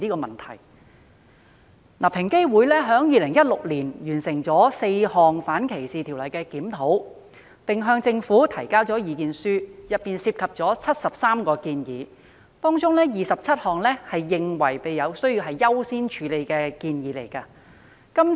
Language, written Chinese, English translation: Cantonese, 平等機會委員會在2016年完成4項反歧視條例的檢討，並向政府提交意見書，當中包括73項建議，而其中27項建議被視為需要優先處理。, The Equal Opportunities Commission EOC completed the review of four anti - discrimination ordinances in 2016 and put forward submissions to the Government . Among the 73 recommendations proposed by EOC 27 were considered to be of priority